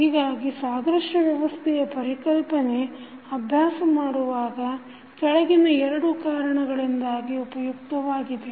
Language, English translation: Kannada, So, the concept of analogous system is useful in practice because of the following 2 reasons